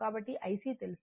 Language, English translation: Telugu, So, this is IC right